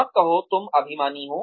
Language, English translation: Hindi, Do not say, You are arrogant